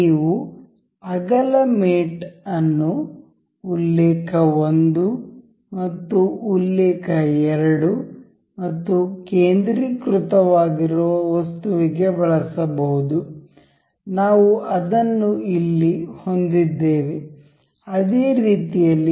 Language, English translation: Kannada, You can use width mate that is reference 1 and reference 2 and the item to be centered; we here have; similarly here